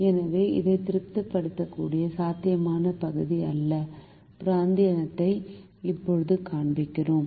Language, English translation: Tamil, so we now show the feasible region or the region that satisfies this